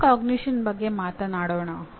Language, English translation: Kannada, Coming to metacognition, what is it